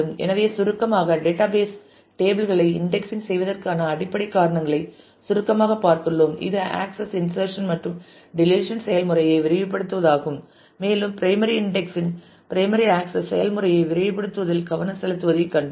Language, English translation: Tamil, So, to summarize we have taken a brief look at the basic reasons for indexing database tables which is to speed up the process of access insert and delete and we have seen that primarily indexing primarily focuses on speeding up the access process